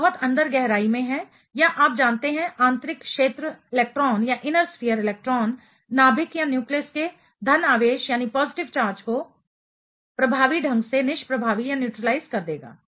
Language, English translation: Hindi, The one which is deeply buried or you know inner sphere electron will be neutralizing the positive charge of the nucleus effectively